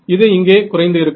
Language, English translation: Tamil, So, it's going to drop